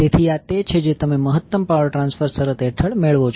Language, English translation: Gujarati, So, this is what you get under the maximum power transfer condition